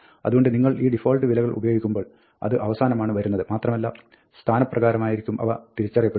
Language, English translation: Malayalam, Therefore, you must make sure that, when you use these default values, they come at the end, and they are identified by position